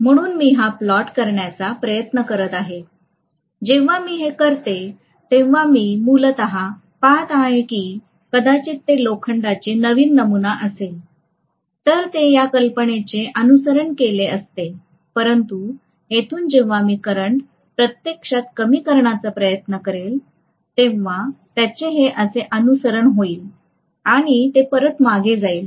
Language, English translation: Marathi, So I am trying to plot this, when I plot it like that, I am essentially looking at maybe if it had been a new sample of iron, it would have followed a plot like this, but from here when I am trying to reduce actually the current, it will follow a plot like this and it will and then it will go back somewhat like this, this is how it is going to be